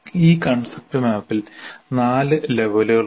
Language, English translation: Malayalam, So a concept map can have several layers